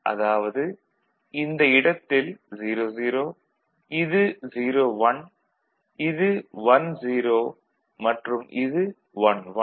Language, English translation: Tamil, So, this particular place is a combination of 0 0, this is 0 1, this is 1 0 and this is 1 1